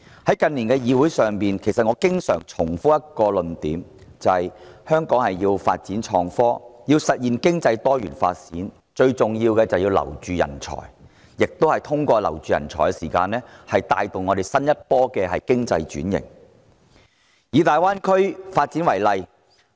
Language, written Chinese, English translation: Cantonese, 我近年經常在本會重複一個論點，便是香港要發展創新科技，實現經濟多元發展，最重要是挽留人才；香港要進入新一波經濟轉型，亦有賴這些人才帶動。, In recent years I have been reiterating a point in this Council time and again that if Hong Kong wishes to develop innovation and technology and diversify its economic development it is vital to retain talents; if Hong Kong wishes to enter the next wave of economic transformation we also have to count on them acting as a driving force